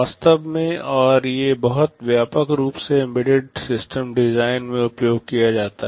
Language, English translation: Hindi, In fact and these are very widely used in embedded system design